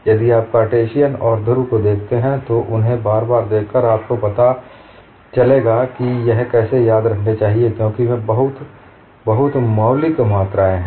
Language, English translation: Hindi, If you look at Cartesian and polar by looking at them again and again, you will know how to remember this, because they are very, very fundamental quantities